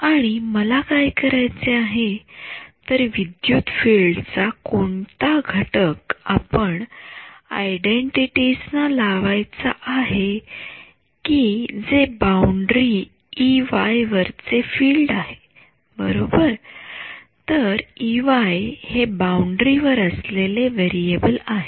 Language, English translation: Marathi, And what do I want to do is want to impose which component of electric field should this we apply to in the identities which is the field on boundary E y right E y is the variable that is lying on the boundary